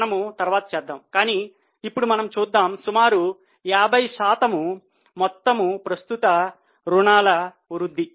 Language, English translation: Telugu, We will do later on but as of now we will see that we can see that nearly 50% rise in the total current liabilities